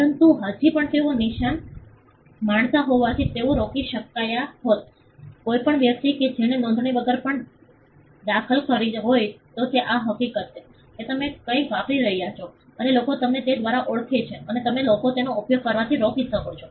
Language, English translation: Gujarati, But still as they enjoy the mark they would have been able to stop, any person who would have intervene even without registration that is the fact that, you have been using something and people know you by that and you can stop people from using it